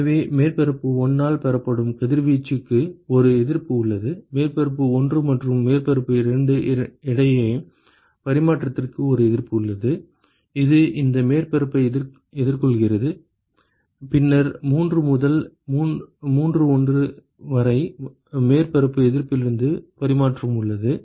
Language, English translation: Tamil, So, there is one resistance for radiation that is emitted by surface 1, there is one resistance for exchange between surface 1 and the surface 2 which is facing this surface and, then there is there is exchange from the surface resistance of 3 to 31 and, their surface resistance of 32 and resistance between the 2 surfaces and the other 1